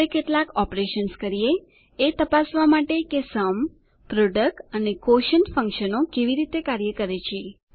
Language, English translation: Gujarati, Now lets perform some operations to check how the Sum, Product and the Quotient functions work